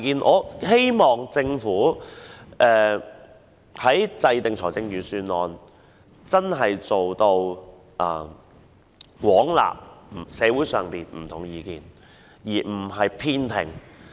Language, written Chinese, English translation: Cantonese, 我希望政府在制訂預算案時能真正做到廣納社會上不同的意見，而不是偏聽。, I hope that in preparing the Budget the Government can really listen to the different views in society on an extensive basis instead of selectively listening to views of a particular group